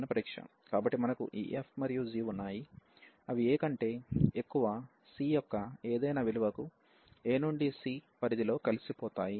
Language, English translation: Telugu, So, we have this f and g they are integrable over the range a to c for any value of c greater than a